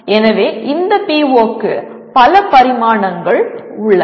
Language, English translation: Tamil, So there are several dimensions to this, to this PO